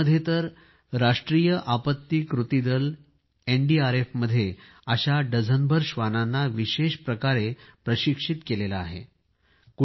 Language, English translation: Marathi, In India, NDRF, the National Disaster Response Force has specially trained dozens of dogs